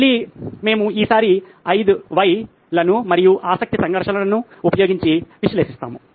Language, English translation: Telugu, Again we will analyse this next time using 5 whys and the conflict of interest